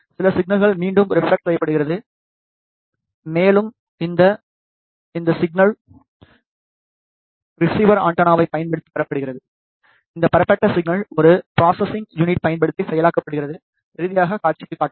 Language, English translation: Tamil, Some of the signal gets reflected back and that signal is received using the receiver antenna, this received signal is processed using a processing unit and finally, displayed on to the display